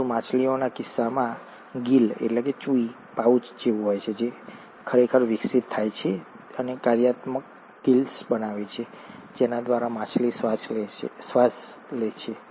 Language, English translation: Gujarati, But, in case of fishes, the gill pouch actually evolves and forms the functional gills through which the fish respires